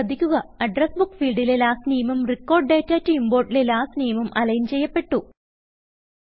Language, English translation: Malayalam, Notice, that the Last Name on the Address Book fields column and the Last Name on the Record data to import column are now aligned